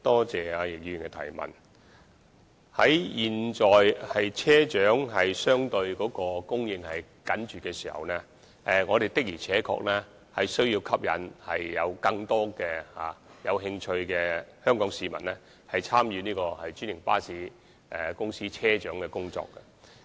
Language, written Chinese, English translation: Cantonese, 在現時車長人手相對緊絀的時候，我們的確需要吸引更多有興趣的香港市民參與專營巴士公司的車長工作。, Given that the manpower of bus captains is relatively tight at the moment it is indeed necessary for us to attract more people of Hong Kong who are interested to join the franchised bus companies to work as bus captains